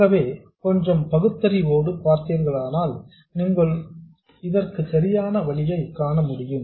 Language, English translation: Tamil, So, with a little bit of reasoning you can see that the correct way to do this is the following